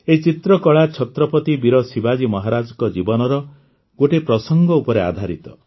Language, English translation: Odia, This painting was based on an incident in the life of Chhatrapati Veer Shivaji Maharaj